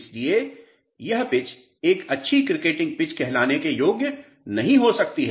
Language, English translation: Hindi, So, it may not qualify as a pitch for a good cricketing pitch